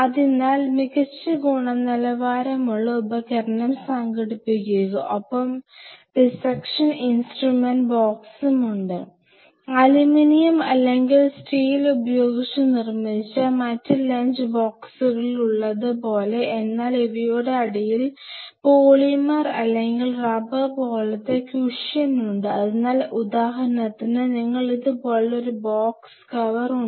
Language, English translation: Malayalam, So, get the best quality dissecting instrument, and there are dissection instrument box it is something, like those of you have seen in other lunch boxes which are made up of aluminum or steel or something these are box similar to that underneath it you have a kind of a cushion like thing which is a polymer or rubber kind of thing keep a rubber on the side so that say for example, you have the box like this with a cover